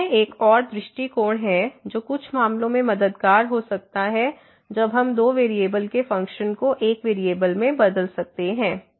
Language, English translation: Hindi, So, again this is another approach which could be helpful in some cases when we can change the functions of two variables to one variable